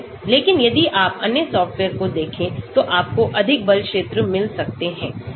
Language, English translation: Hindi, But, if you look at other softwares, you may find more force fields